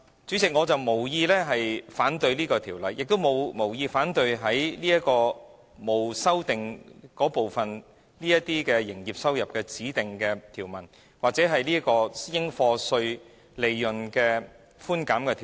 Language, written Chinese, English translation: Cantonese, 主席，我無意反對這項《條例草案》，亦無意反對沒有修正案的條文中，有關指定營業收入或應課稅利潤寬減的條文。, Chairman I have no intention to vote against the Bill or clauses on specified trading receipts or chargeable concessionary receipts among clauses with no amendment